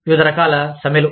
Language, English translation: Telugu, Various types of strikes